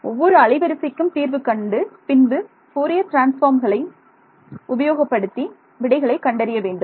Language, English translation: Tamil, Solve for each frequency and then use Fourier transforms to get answer right